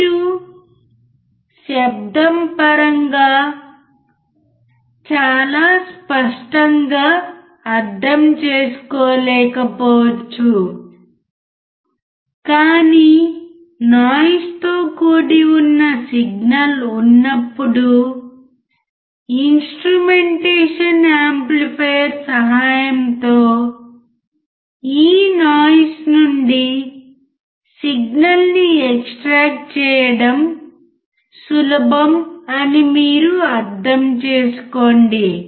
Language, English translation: Telugu, You may not be able to understand very clearly in terms of maybe the sound, but if you are, you understand this thing that if there is a signal and if there is a noise, then it is easy to extract the signals from this noise with the help of instrumentation amplifier